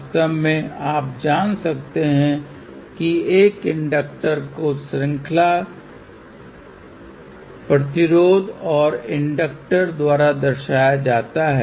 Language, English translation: Hindi, In fact, you might be knowing that an inductor is generally represented by series resistor and series inductor